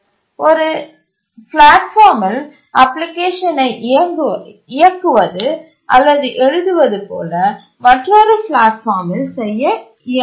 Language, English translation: Tamil, If you run an application, you write an application on one platform, it will not run on another platform